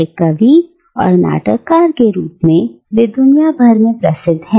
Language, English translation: Hindi, And is renowned worldwide both as a poet and as a playwright